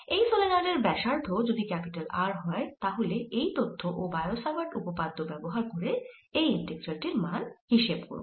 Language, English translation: Bengali, if r is the radius of the solenoid, then on the basis of this fact and and bio savart law, the value of the integral